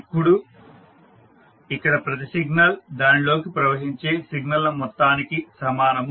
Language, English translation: Telugu, Now each signal here is the sum of signals flowing into it